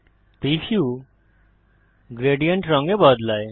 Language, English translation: Bengali, The preview changes to gradient colour